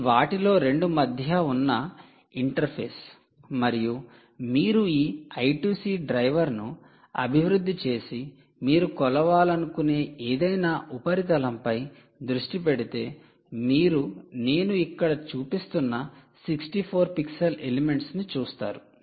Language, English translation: Telugu, if you develop this i two c driver and focus it on the any surface that you want to measure, you will see sixty four pixel elements which i am showing here